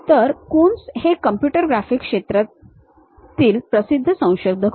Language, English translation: Marathi, So, Coons is a famous pioneer in the field of computer graphics